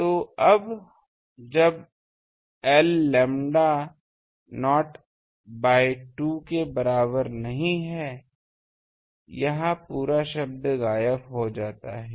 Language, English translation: Hindi, So, now, when l is equal to lambda not by 2 half way of dipole, this whole term vanishes check